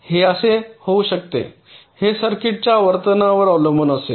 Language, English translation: Marathi, this may so happen depending on the behavior of the circuit